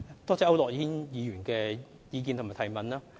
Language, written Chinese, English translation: Cantonese, 多謝區諾軒議員的意見和補充質詢。, I thank Mr AU Nok - hin for his views and supplementary question